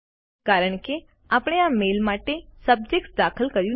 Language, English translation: Gujarati, This is because we did not enter a Subject for this mail